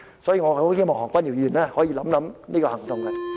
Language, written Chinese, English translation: Cantonese, 所以，我很希望何君堯議員可以考慮這個行動。, I really hope that Dr Junius HO will consider doing so